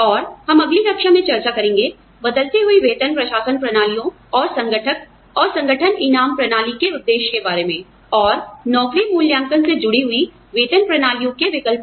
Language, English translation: Hindi, And, we will discuss, changing salary administration systems and components, and objectives of organizational rewards systems, and the alternatives to pay systems based on job evaluation, in the next class